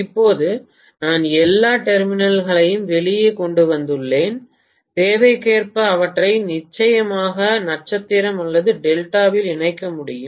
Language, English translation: Tamil, Now that I have all the terminals brought out, I should be able to definitely connect them in star or delta as the requirement may be